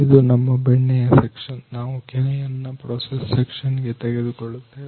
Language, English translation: Kannada, This is our butter section; we will take cream for process section